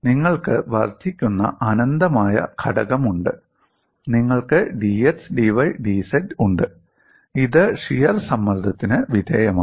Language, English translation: Malayalam, You have an incremental element infinities of an element, you have with d x d y d z and this is subjected to shear stress